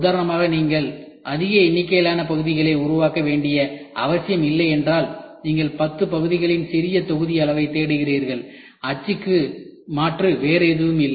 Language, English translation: Tamil, If you do not have to make more number of parts for example, you are looking for a small batch size of 10 parts then die is not the alternative